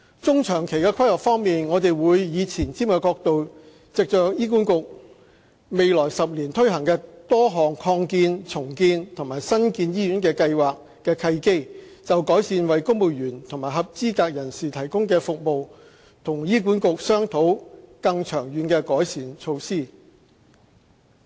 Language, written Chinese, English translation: Cantonese, 中、長期規劃方面，我們會以前瞻角度藉着醫院管理局未來10年推行多項擴建、重建及新建醫院計劃的契機，就改善為公務員及合資格人士提供的服務與醫管局商討更長遠的改善措施。, As to the medium and long - term planning from a forward - looking perspective we will take the opportunity of various expansion redevelopment and new hospitals projects of the Hospital Authority HA in the next 10 years or so to discuss with HA on long - term improvement initiatives on the provision of services to civil servants and eligible persons